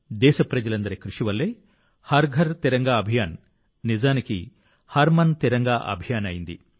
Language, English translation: Telugu, The efforts of all the countrymen turned the 'Har Ghar Tiranga Abhiyan' into a 'Har Man Tiranga Abhiyan'